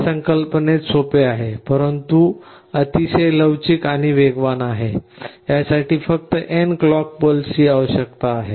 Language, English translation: Marathi, It is simple in concept, but very flexible and very fast; this requires only n number of clock pulses